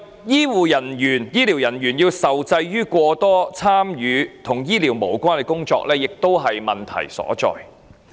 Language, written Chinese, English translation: Cantonese, 此外，醫療人員受制於過多參與與醫療無關的工作，亦是問題所在。, Besides the constraint imposed by unnecessary involvement in non - medical work on healthcare personnel is another problem